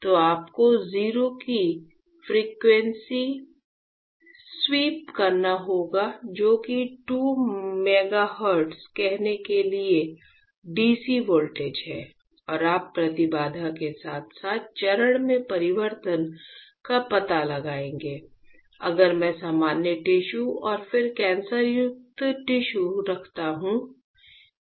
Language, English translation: Hindi, So, you have to perform the frequency sweep from 0 which is DC voltage to let say 2 megahertz and you will find out the change in the impedance as well as the phase of; if I place normal tissue and then cancerous tissue